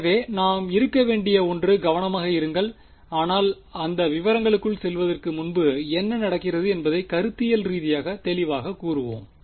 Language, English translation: Tamil, So, that something that we have to be careful about, but before we get into those details is let us be conceptually very clear what is happening